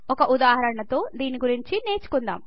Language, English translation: Telugu, Let us learn more about it through an example